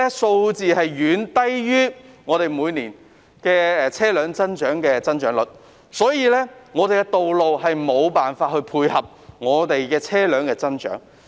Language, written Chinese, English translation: Cantonese, 數字遠低於香港每年的車輛增長率，道路無法配合車輛的增長。, The figure is far lower than the annual growth rate of vehicles in Hong Kong . Roads are unable to cope with the growth of vehicles